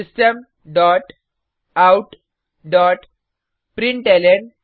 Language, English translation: Hindi, System dot out dot println